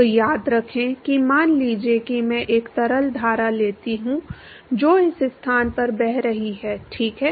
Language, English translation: Hindi, So, remember supposing I take a fluid stream which is flowing in this location ok